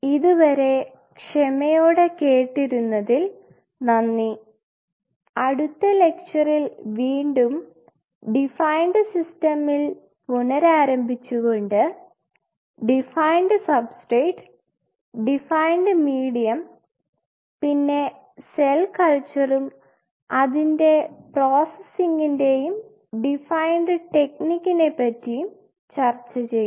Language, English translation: Malayalam, So, thank you for your patience listening next lecture will resume from here define system, and define substrate, define medium, and define techniques of cell culture and their processing